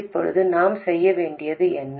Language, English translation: Tamil, Now, what is it that we need to do